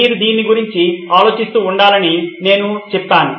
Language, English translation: Telugu, I said you should be thinking about this